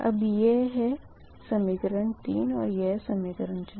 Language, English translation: Hindi, this is equation four